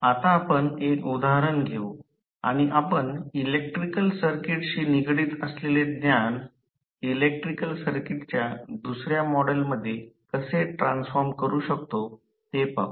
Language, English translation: Marathi, Now, let us take one example and we will see how the knowledge which we have just gathered related to electrical circuit how we can transform it into the model of the electrical circuit